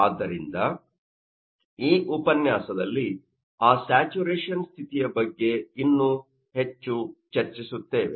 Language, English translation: Kannada, So, in this lecture, we will discuss you know more about that saturation condition